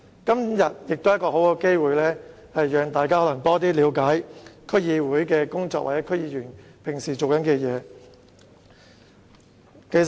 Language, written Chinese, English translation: Cantonese, 今天是一個很好的機會，讓大家多了解區議會的工作，以及區議員平時所做的事情。, Today offers a good opportunity for Members to gain a better understanding of the work of DCs and the routine duties of DC members